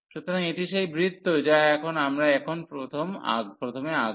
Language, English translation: Bengali, So, this is the circle which we can draw now first